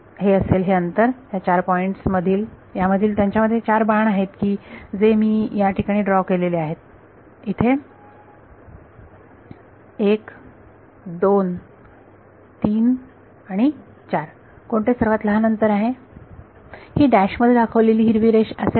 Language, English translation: Marathi, It is going to be this distance between these four points that have four arrows that I have drawn over here, 1 2 3 and 4 which is the shortest distance is it the dashed green line right